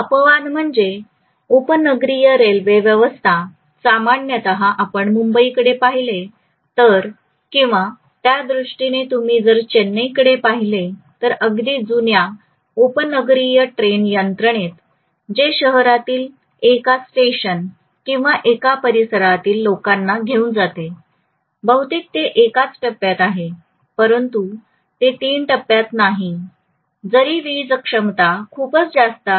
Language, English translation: Marathi, The only exception is a suburban train system, normally if you look at Bombay or if you look at Chennai for that matter very old suburban train system what is there which takes people from one station or one locality within the city to another locality, most of it is in single phase it is not in three phase although the power capacity is pretty much high